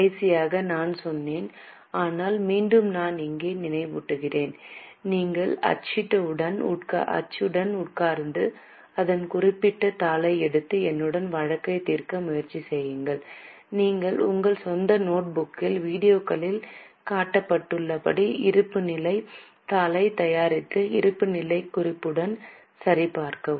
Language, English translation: Tamil, Last time also I had told but once again I am reminding here it is expected that you sit with the printout, take that particular sheet and try to solve the case along with me, then prepare the balance sheet in your own notebook and check with the balance sheet as shown in the video